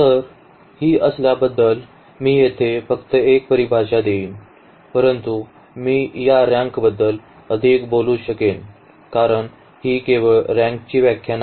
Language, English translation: Marathi, So, having this let me just introduce here one definition though I can you will be talking more about this rank because this is not the only definition for rank